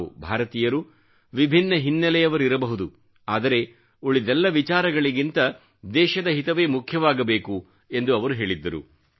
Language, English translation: Kannada, He also used to say that we, Indians may be from different background but, yes, we shall have to keep the national interest above all the other things